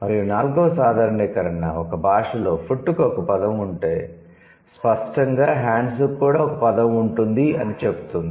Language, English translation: Telugu, The fourth generalization is, if a language has a word for food, then it also has a word for hand